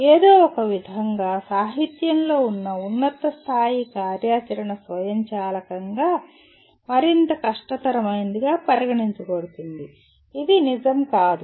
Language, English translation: Telugu, Somehow in the literature higher level activity is considered automatically more difficult which is not true